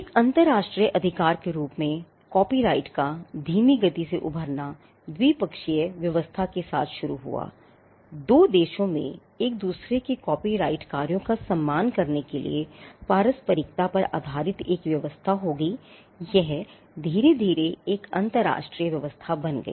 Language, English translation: Hindi, The slow emergence of copyright as a international right started off with bilateral arrangements; two countries will have an arrangement of based on reciprocity to respect copyrighted works of each other; this slowly became an international arrangement